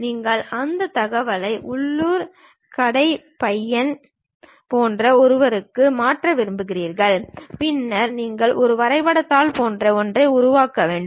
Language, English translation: Tamil, And you want to transfer that information to someone like local shop guy, then the way is you make something like a drawing sheet